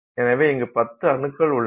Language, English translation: Tamil, So, I have 10 atoms here